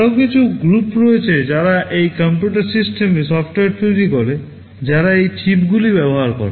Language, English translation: Bengali, There are some other groups who develop software for those computer systems that use those chips